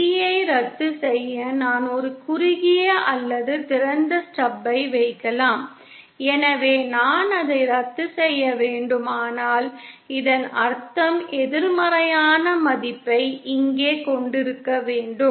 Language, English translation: Tamil, To cancel B in, I can just put a shorted or open stub so if I have to cancel it that means I have to have the corresponding negative value of the succeptance here